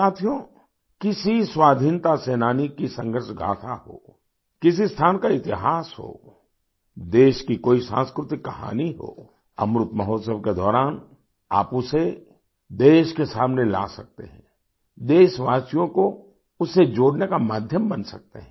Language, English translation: Hindi, Friends, be it the struggle saga of a freedom fighter; be it the history of a place or any cultural story from the country, you can bring it to the fore during Amrit Mahotsav; you can become a means to connect the countrymen with it